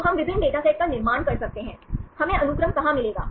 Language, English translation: Hindi, So, we can construct different datasets; where shall we get the sequences